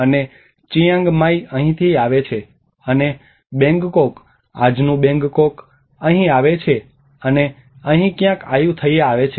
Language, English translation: Gujarati, And Chiang Mai actually comes from here and the Bangkok, the today’s Bangkok comes from here and Ayutthaya some somewhere here